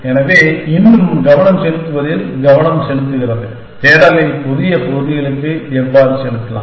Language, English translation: Tamil, So, the focus is still on exploration, how can we make the search go onto newer areas